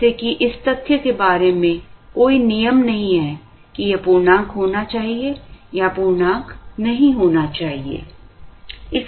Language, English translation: Hindi, As such there is no sanctity about the fact that, this has to be an integer, need not be an integer